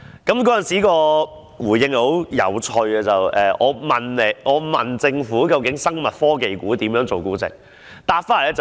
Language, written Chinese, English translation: Cantonese, 當局的回應很有趣，我是問究竟生物科技股以何種標準來估值？, The authorities answer was very interesting . My question was what exactly were the objective standards for the valuation of these stocks?